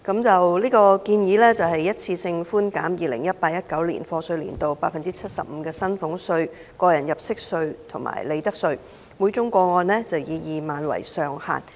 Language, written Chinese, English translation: Cantonese, 這項建議是一次過寬減 2018-2019 課稅年度 75% 的薪俸稅、個人入息課稅及利得稅，每宗個案以2萬元為上限。, The proposal offers one - off reductions of salaries tax tax under personal assessment and profits tax for the year of assessment 2018 - 2019 by 75 % subject to a ceiling of 20,000 per case